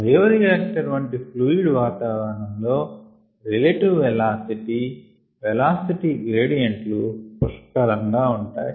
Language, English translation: Telugu, in a fluid environment, such as in a bioreactor, relative velocities or velocity gradients exist in abundance